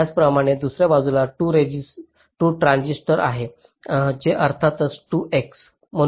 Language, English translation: Marathi, similarly, on the other side there are two transistors which are of course two x